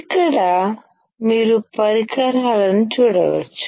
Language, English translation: Telugu, Here, you can see the equipment